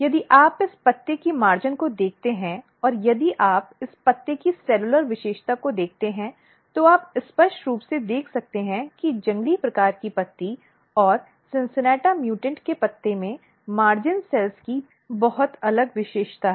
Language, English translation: Hindi, If you look the margin of this leaf and if you see the cellular feature of this leaf you can clearly see that in wild type leaf and the cincinnata mutant’s leaf, has very different feature of the margin cells